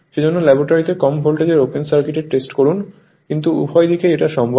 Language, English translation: Bengali, That is why you perform open circuit test on thelow voltage side in the laboratory, But either side, it is possible